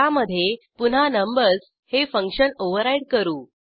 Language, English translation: Marathi, In this, again, we override the function numbers